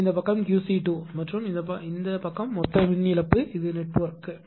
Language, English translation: Tamil, So, this side is say Q c 2 right and this side is the total power loss this is the P loss of the network right